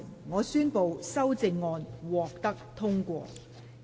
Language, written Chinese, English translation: Cantonese, 我宣布修正案獲得通過。, I declare the amendments passed